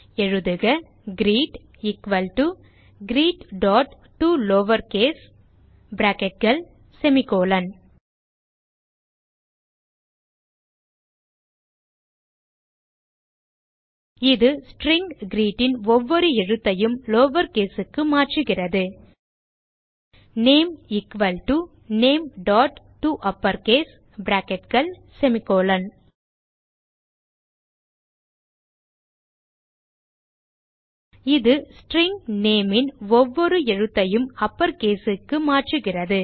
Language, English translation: Tamil, type, greet equal to greet.toLowerCase() This statement converts each character of the string greet to lowercase name equal to name.toUpperCase() This statement converts each character of the string name to uppercase